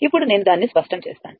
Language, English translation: Telugu, Now, let me clear it